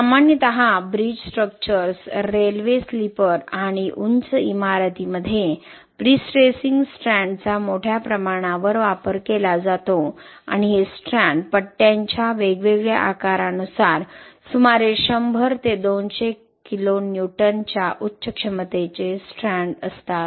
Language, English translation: Marathi, Typically prestressing strands are widely used in bridge structures, railway sleepers and high rise buildings and these stands are high capacity strands of about 100 to 200 kN depending on different size of the bars